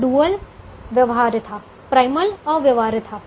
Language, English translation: Hindi, the dual is actually feasible, but the primal is infeasible